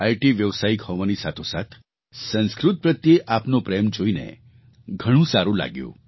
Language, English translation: Gujarati, Alongwith being IT professional, your love for Sanskrit has gladdened me